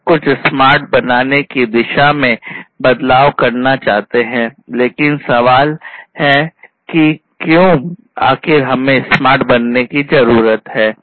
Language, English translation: Hindi, We want to transition towards making everything smart by, but the question is that why at all we need to make smart